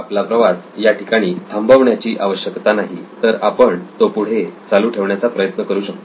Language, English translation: Marathi, Our journey does not have to come to an end we can actually try to prolong it